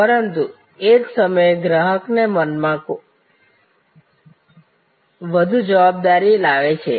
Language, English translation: Gujarati, But, it also at the same time brings more responsibility in the customers mind